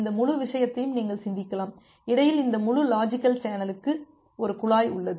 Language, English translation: Tamil, You can just think of this entire thing, this entire logical channel in between has a pipe